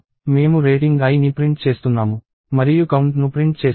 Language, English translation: Telugu, We are printing the rating i and print the count